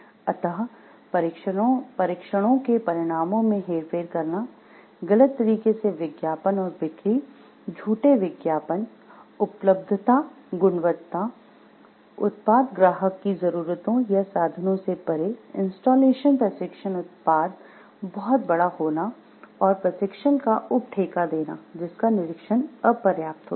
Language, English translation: Hindi, Hence, tests rushed or results falsified advertising and sells, false advertising, availability quality, product over sold beyond client’s needs or means, shipping installation training product too large to ship by land installations and training subcontracted out in a inadequately supervised